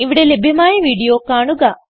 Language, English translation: Malayalam, Watch the video available at this URL